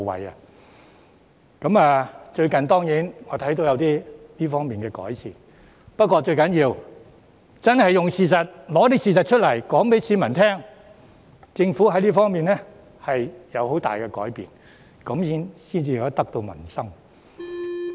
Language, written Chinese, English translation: Cantonese, 我發覺最近在這方面有所改善，但最重要的是拿出事實，告訴市民政府在這方面有很大改變，這樣才能得民心。, I found that there have recently been improvements in this regard but the most important of all is to prove to the public with facts that the Government has made major changes in this respect . Only in so doing can the Government win peoples hearts